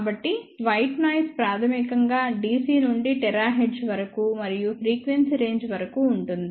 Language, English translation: Telugu, So, white noise is basically is a noise, which can span from dc to terahertz and more frequency range